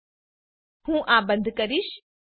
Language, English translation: Gujarati, I will close this